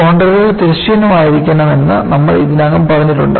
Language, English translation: Malayalam, We have already set that the contours have to be horizontal